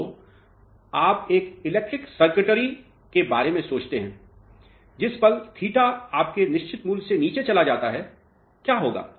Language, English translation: Hindi, So, you think of a electronic circuitry; the moment theta drops below its certain value, what will happen